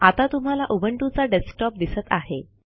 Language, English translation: Marathi, What you are seeing now, is the Ubuntu Desktop